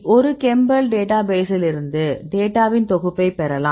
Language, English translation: Tamil, So, you can get a set of data from a chembl database